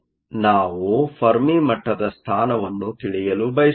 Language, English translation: Kannada, We want to know the position of the fermi level